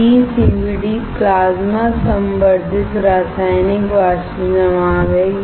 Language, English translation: Hindi, PECVD is Plasma Enhanced Chemical Vapor Deposition